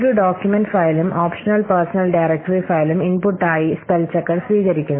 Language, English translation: Malayalam, The spell checker accepts as input word, a document file and an optional personal directory file